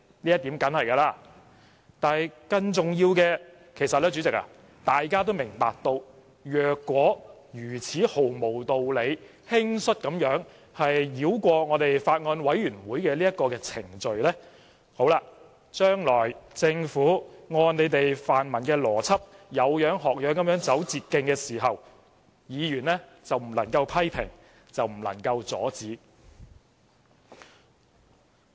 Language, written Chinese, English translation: Cantonese, 不過，主席，更重要的是，大家也明白，假使如此毫無道理、輕率地繞過立法會法案委員會的程序，將來政府按泛民議員的邏輯，"有樣學樣，走捷徑"時，議員便不能批評和阻止。, Yet more importantly President we all understand that if the procedure of the Bills Committee of the Legislative Council can be bypassed so unreasonably and rashly Members will be unable to criticize and stop the Government if it copies it in the future and takes the short cut based on the pan - democratic Members logic